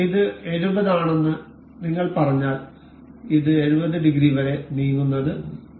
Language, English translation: Malayalam, If we say this is 70, you can see this moving by 70 degrees